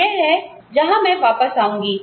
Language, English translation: Hindi, This is where, I will come back to